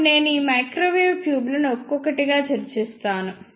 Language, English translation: Telugu, Now, I will discuss these microwave tubes one by one